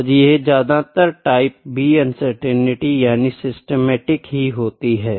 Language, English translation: Hindi, So, this are mostly type B uncertainty are mostly systematic if not always